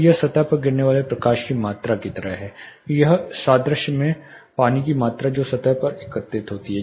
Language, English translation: Hindi, So, this is like the amount of light falling over a surface or amount water in this analogy which is collected over a surface